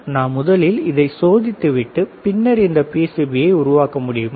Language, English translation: Tamil, Is there a way that we can test it, and then we make this PCB